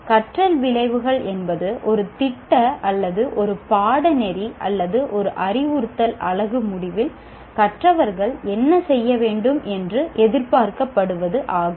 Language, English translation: Tamil, Learning outcomes are what the learners are expected to do at the end of a program or a course or an instructional unit